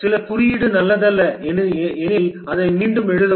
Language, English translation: Tamil, If some code is not good, discard it, rewrite it